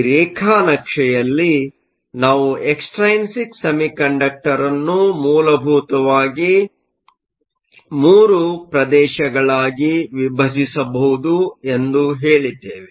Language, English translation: Kannada, In this plot, we said that we could divide an extrinsic semiconductor into essentially three regions